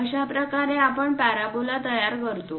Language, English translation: Marathi, This is the way we construct a parabola